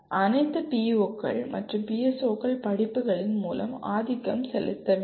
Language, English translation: Tamil, After all POs and PSOs have to be dominantly be attained through courses